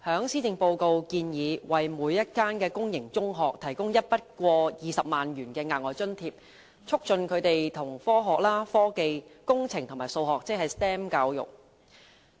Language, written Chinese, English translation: Cantonese, 施政報告建議為每一間公營中學提供一筆過20萬元的額外津貼，促進學校推行科學、科技、工程及數學教育。, It is proposed in the Policy Address that a one - off subsidy of 200,000 be provided to every public sector secondary school for the promotion of Science Technology Engineering and Mathematics STEM education